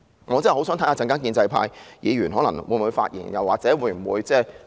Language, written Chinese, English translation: Cantonese, 我真的很想知道稍後建制派議員會否發言或表決。, I am really keen to find out if Members from the pro - establishment camp will speak or vote later on